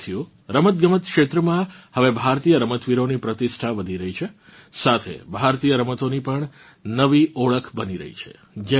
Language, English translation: Gujarati, Friends, in the sports world, now, the dominance of Indian players is increasing; at the same time, a new image of Indian sports is also emerging